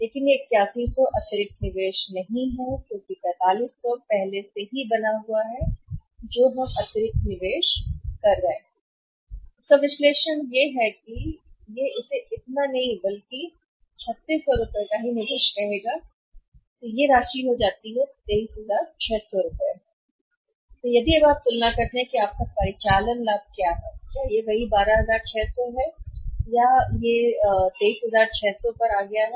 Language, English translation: Hindi, But it is not 8100 additional investment is because of 4500 is already made an in the first analysis additional investment we are making here is that it would call it has not this much but only 3600 this in addition investment we are making so this amount becomes how much this amount becomes 23600 this count is 23600 if you compare now what is your operating profit this is same 12600 and your investment has come down to 23600